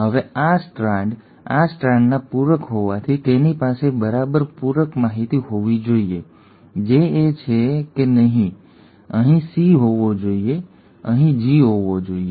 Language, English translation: Gujarati, Now since this strand was complementary to this strand, it should exactly have the complementary information, which is it should have had a C here, a G here, right, and A here, another A here, a T here and a T here